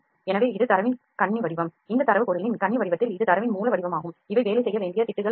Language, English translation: Tamil, So, this is the mesh form of the data this data in the mesh form of the object this is a raw form of the data when these are the patches those need to be worked upon